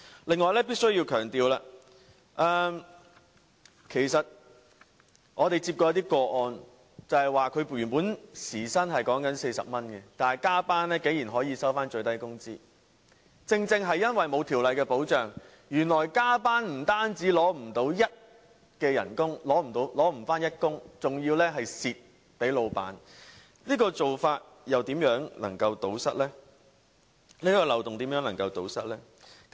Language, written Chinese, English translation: Cantonese, 此外，我必須強調，我們曾接獲一些個案的時薪原本是40元，但加班竟然只給予最低工資，這正正是因為欠缺法律保障，原來加班不但無法領取等份的工資，還要吃虧給老闆，如何能夠堵塞這個漏洞呢？, Besides in some cases that we have received where the original hourly wage rate was 40 overtime work pays only the minimum wage . This is precisely due to the lack of statutory protection . Not only is one unable to receive the same amount of wages for overtime work he is also exploited by the employer